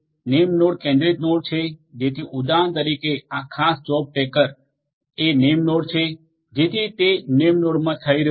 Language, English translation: Gujarati, The name node is centralized node so, this particular job tracker for example, is a name node right so, it is being done in the name node